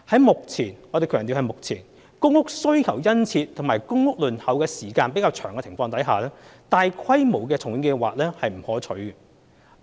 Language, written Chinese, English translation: Cantonese, 目前——我們強調是目前——公屋需求殷切及公屋輪候時間較長的情況下，大規模的重建計劃並不可取。, Given the current―we stress current―high demand and long waiting time for PRH it is not advisable to carry out massive redevelopment programmes